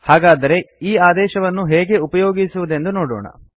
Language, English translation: Kannada, Let us see how the command is used